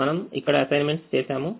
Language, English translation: Telugu, we have made assignments